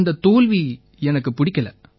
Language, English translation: Tamil, I didn't like the defeat